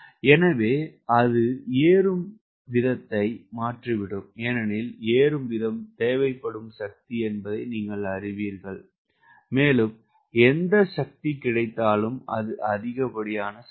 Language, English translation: Tamil, so that will change the rate of climb because you know rate of climb is this is the power required and whatever power available this is excess power